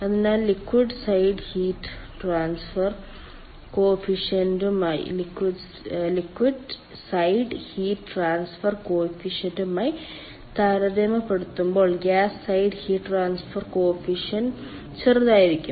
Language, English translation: Malayalam, so by gas side heat transfer coefficient will be small compared to the ah liquid side heat transfer coefficient